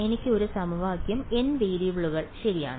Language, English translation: Malayalam, I have got one equation n variables right